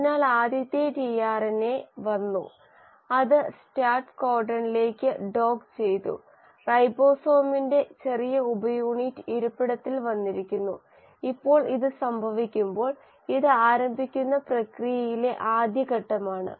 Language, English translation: Malayalam, So the first tRNA has come and it has docked itself onto the start codon, the small subunit of ribosome has come in sitting, and now when this happens, this is the first step during the process of initiation